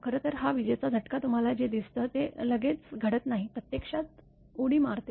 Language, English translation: Marathi, Actually this lightning stroke whatever you see it does not happen instantaneously, it jumps actually